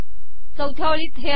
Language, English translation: Marathi, The last row has this